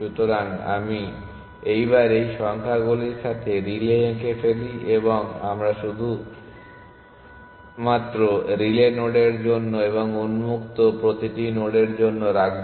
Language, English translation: Bengali, So, let me draw the relay with these numbers this time and we will keep it for the relay nodes only and every node on the open